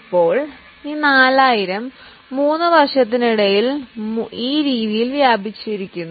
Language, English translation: Malayalam, Now, this 4,000 is spread over 3 years in this manner